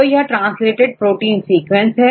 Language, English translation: Hindi, it is translated into protein